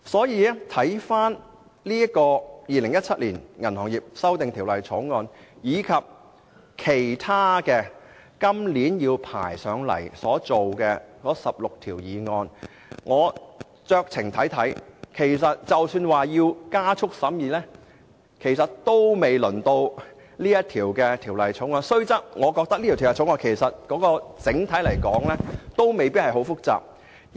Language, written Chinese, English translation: Cantonese, 讓我們回看《2017年銀行業條例草案》和其他將在今年提交立法會審議的16項法案，我認為即使要加快審議，也不應是本《條例草案》，雖然這項《條例草案》整體來說未必太複雜。, Let us review the Bill and the 16 other Bills that will be introduced into the Legislative Council this year . Broadly speaking although the Bill might not be too complicated it should not merit an expedited examination